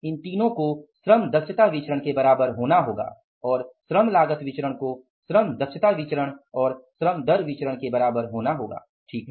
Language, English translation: Hindi, These three has to be equal to the labor efficiency variance and labor cost variance has to be equal to the labor rate of pay variance and the labor efficiency variance